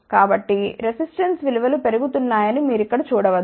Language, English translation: Telugu, So, you can see over here the resistance values are increasing